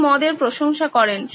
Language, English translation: Bengali, He appreciated wine